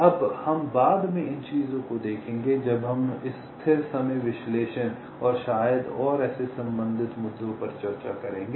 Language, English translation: Hindi, now we shall be looking at these things later when we discuss this ah, static timing analysis and maybe, and such related issues